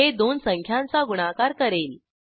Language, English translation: Marathi, This will perform multiplication of two numbers